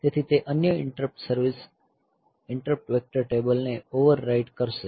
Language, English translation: Gujarati, So, it will overwrite other interrupt service interrupt vector table